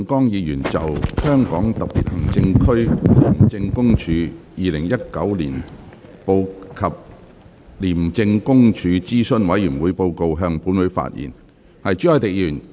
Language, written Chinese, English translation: Cantonese, 廖長江議員就"香港特別行政區廉政公署2019年報及廉政公署諮詢委員會報告"向本會發言。, Mr Martin LIAO will address the Council on the Independent Commission Against Corruption Hong Kong Special Administrative Region Annual Report 2019 and Reports of ICAC Advisory Committees